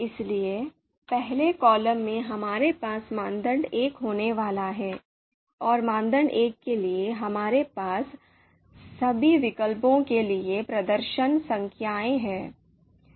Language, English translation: Hindi, So first column we are going to have criteria 1, and for the criteria 1, we are going to have performance numbers for all the alternatives